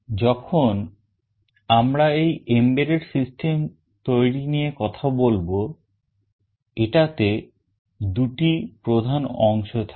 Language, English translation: Bengali, When we talk about this embedded system development, this involves two major components